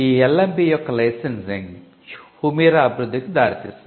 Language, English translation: Telugu, The licensing of LMB’s work led to the development of Humira